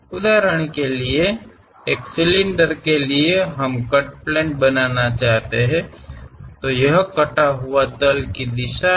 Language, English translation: Hindi, For example, for a cylinder we want to make a cut plane; this is the cut plane direction